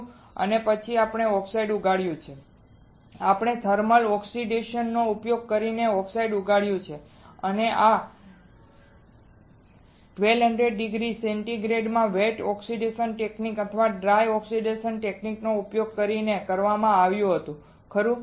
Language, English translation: Gujarati, And then we have grown oxide we have grown oxide using using thermal oxidation and this was done at 1200 degree centigrade using wet oxidation technique or dry oxidation technique, right